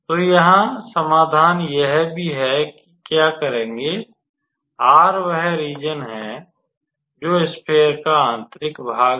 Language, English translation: Hindi, So, solution here also what we will do basically is R is the region, which is the interior of the sphere